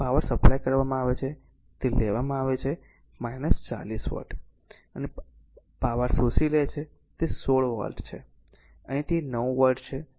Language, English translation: Gujarati, So, power supplied is it is taken minus 40 watt and your power absorbing that is 16 watt, here it is 9 watt